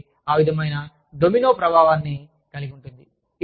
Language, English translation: Telugu, So, that sort of, has a domino effect